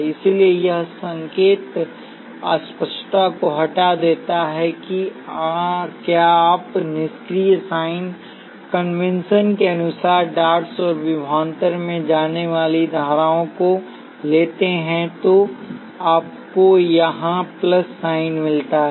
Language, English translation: Hindi, So, this removes the sign ambiguity that is you take both currents going into the dots and voltages according to the passive sign convention then you get the plus sign here